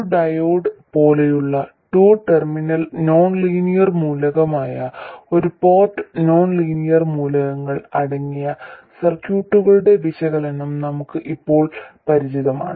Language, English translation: Malayalam, We are now familiar with analysis of circuits containing one port nonlinear elements, that is a two terminal nonlinear element like a diode